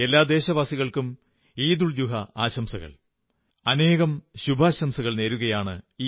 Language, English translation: Malayalam, Heartiest felicitations and best wishes to all countrymen on the occasion of EidulZuha